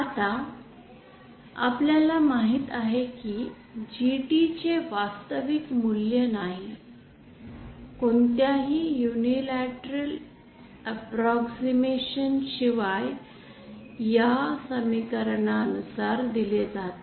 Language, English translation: Marathi, Now we know that GT the real value no without any unilateral approximation is given by this equation